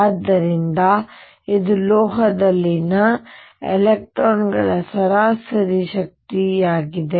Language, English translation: Kannada, So, this is the average energy of electrons in a metal